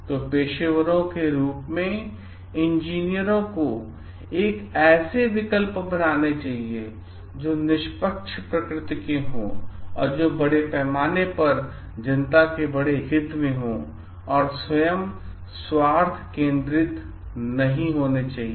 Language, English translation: Hindi, So, engineers as professionals should make choices which are fair in nature and which is in the greatest interest of the public at large and should not be dominated by their own self interest